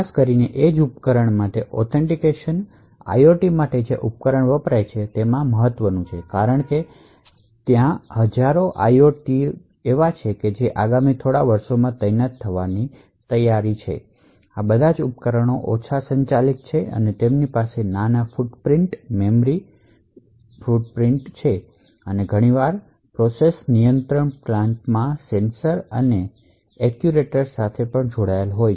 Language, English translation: Gujarati, So, authentication especially for edge device, devices like which I use for IOT is extremely important, the reason being that there are like thousands of IOTs that are expected to be deployed in the next few years, all of these devices are low powered, they have small footprints, memory footprints and quite often connected to sensors and actuators in process control plants